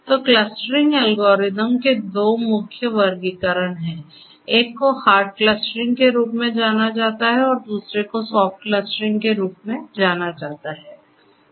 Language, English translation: Hindi, So, there are two main classifications of clustering algorithms one is known as hard clustering and the other one is known as soft clustering